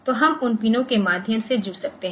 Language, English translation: Hindi, So, we can connect through those pins